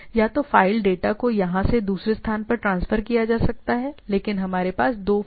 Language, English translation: Hindi, So, either file data can be transfer from here to here or other way, but we have two file system